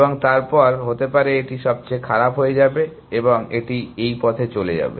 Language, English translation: Bengali, And then maybe, this will become worst and then it will go down this path